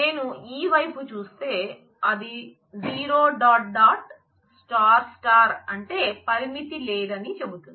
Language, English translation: Telugu, Whereas if I if we see on this side, it says that 0 dot, dot, star, star stands for no limit